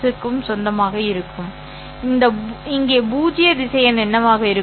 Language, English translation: Tamil, Moreover, what would be the null vector here